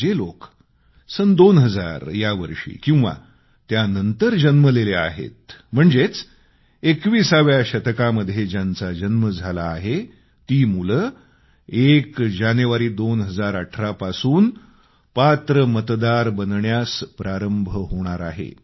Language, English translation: Marathi, People born in the year 2000 or later; those born in the 21st century will gradually begin to become eligible voters from the 1st of January, 2018